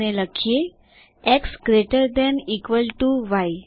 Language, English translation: Gujarati, And write x greater than equal to y